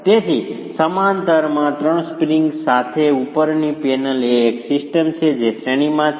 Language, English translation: Gujarati, So, the panel above with the three springs in parallel is a system which is in series